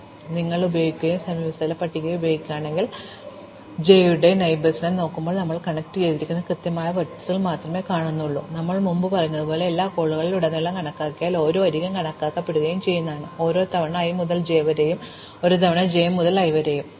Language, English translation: Malayalam, On the other hand, if we use an adjacency list then when we look at the neighbours of j, we only have to look at the exact vertices it is connected to and as we said before if we count across all the calls each edge will be accounted for twice; once from i to j, and once from j to i